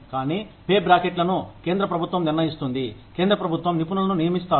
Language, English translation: Telugu, But the pay brackets, are decided by the central government, by experts in the central government